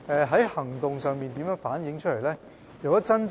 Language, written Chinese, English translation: Cantonese, 在行動上是如何反映的呢？, How can this be reflected in practice?